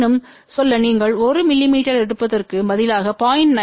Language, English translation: Tamil, However, just to tell you instead of taking 1 mm if you take 0